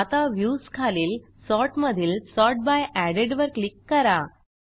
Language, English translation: Marathi, Now, click on Views, Sort and Sort by Added